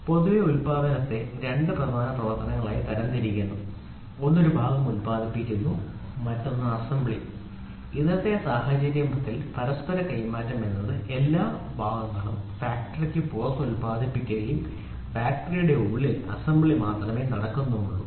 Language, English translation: Malayalam, We generally classify manufacturing into 2 major operations, one is producing a part the other one is assembly, today’s scenario is interchangeability has come up to such an extent all parts are produced outside the factory only assembly happens inside the factory